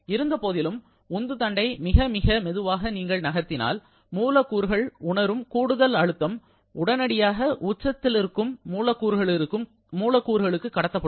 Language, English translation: Tamil, However, if you move the piston very, very slowly, so that the whatever additional pressure the molecules are sensing, they are immediately able to transfer that to the surrounding molecules